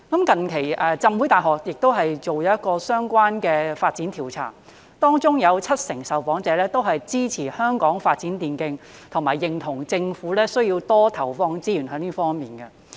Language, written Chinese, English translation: Cantonese, 近期香港浸會大學亦做了一項相關的發展調查，當中有七成受訪者支持香港發展電競，以及認同政府需要在這方面多投放資源。, In a recent research conducted by the Hong Kong Baptist University on the relevant development 70 % of the respondents supported the development of e - sports in Hong Kong and agreed that the Government needed to invest more resources in this area